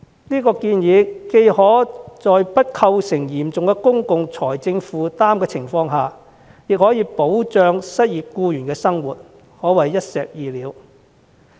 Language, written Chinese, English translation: Cantonese, 這建議既不構成沉重的公共財政負擔，又可以保障失業人士的生活，可謂一石二鳥。, The proposal has the merit of killing two birds with one stone that is it can assure the living standard of the unemployed without imposing a burden on the public coffers